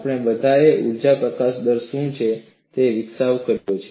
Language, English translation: Gujarati, Let us continue our discussion on Energy Release Rate